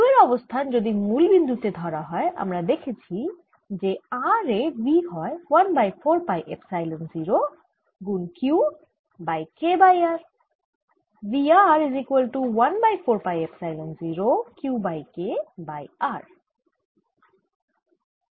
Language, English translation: Bengali, taking the position of the q at the origin, we found that v at r was equal to one over four pi, epsilon zero q over k over r